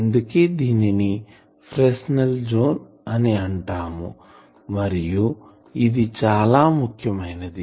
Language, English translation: Telugu, So, that is called Fresnel zone that is why it is important